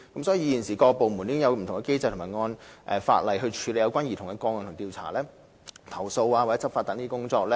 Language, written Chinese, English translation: Cantonese, 所以，現時各部門已有不同機制或按法例處理有關兒童個案的調查、投訴或執法等工作。, Therefore various departments now handle investigations complaints or law enforcement concerning children - related cases under various mechanisms or the law